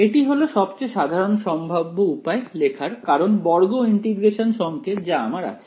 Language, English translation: Bengali, This is the most general possible way of representing it because it is I mean square integrable signal that I have ok